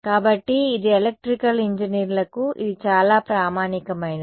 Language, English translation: Telugu, So, this is I mean for Electrical Engineers this is very standard